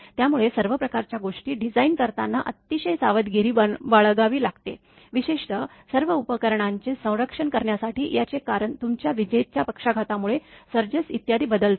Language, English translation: Marathi, So, one has to be very careful for designing all sort of thing particularly to protect all the equipments, that is due to your lightning stroke switching surges etcetera